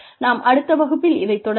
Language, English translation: Tamil, And, we will take it from here, in the next class